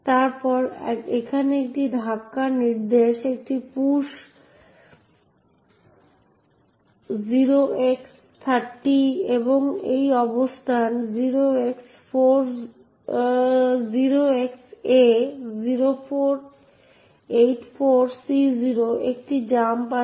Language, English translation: Bengali, Then, here there is a push instruction, a push 0X30 and a jump to this location 0XA0484C0